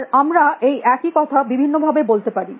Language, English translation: Bengali, That we can say, the same thing in many different ways